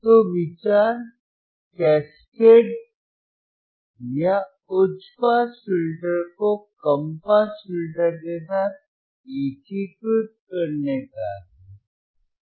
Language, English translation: Hindi, So, the idea is to cascade or to integrate the high pass filter with the low pass filter